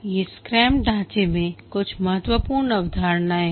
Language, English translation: Hindi, There are some artifacts which are mandated in the scrum framework